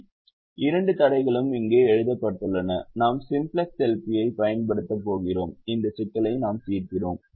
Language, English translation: Tamil, the two constraints are written here and we are going to use simplex l, p and we solve this